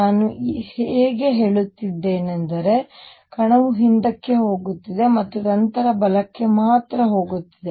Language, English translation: Kannada, How come I am only saying that particle has coming in going back and then going only to the right